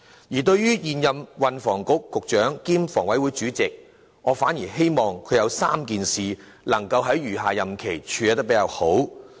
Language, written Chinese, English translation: Cantonese, 而對於現任運輸及房屋局局長兼房委會主席，我反而希望他能夠在餘下任期妥善處理3件事。, Instead I do hope that the incumbent Secretary for Transport and Housing cum Chairman of the Hong Kong Housing Authority HA can properly deal with the three things as follows